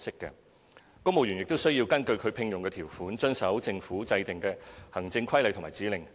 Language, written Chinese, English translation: Cantonese, 公務員亦須根據其聘用條款，遵守政府制訂的行政規例及指令。, Civil servants are also required to observe administrative regulations and instructions binding them through their employment contracts